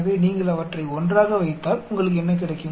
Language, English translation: Tamil, So, if you put them together what do you get